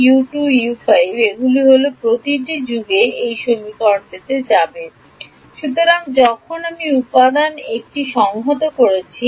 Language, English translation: Bengali, U 3 2 3 5 these are the U’s that will go into this equation in every element ok